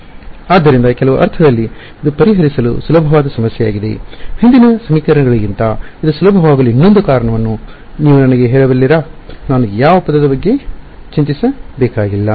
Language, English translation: Kannada, So, in some sense it is an easier problem to solve can you tell me one more reason why it is easier than the earlier system of equations; which term did I not have to worry about